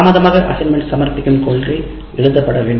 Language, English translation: Tamil, That late assignment submission policy should be written